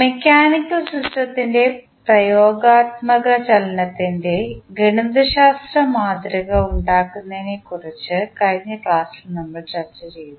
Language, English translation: Malayalam, In last class we discussed about the mathematical modelling of translational motion of mechanical system